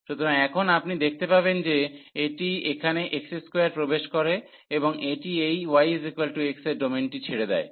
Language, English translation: Bengali, So, now you will see that this enters here at x square and it leaves the domain at this y is equal to x line